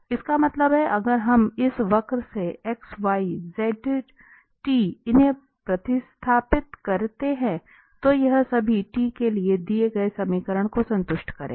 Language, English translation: Hindi, That means, this if we substitute this x y z from this curve, this will satisfy the given equation for all t